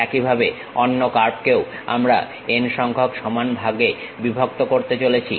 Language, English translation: Bengali, Similarly, the other curve also we are going to divide it into n equal number of parts